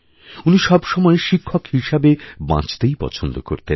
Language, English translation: Bengali, He preferred to live a teacher's life